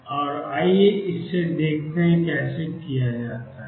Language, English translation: Hindi, And let us see how it is done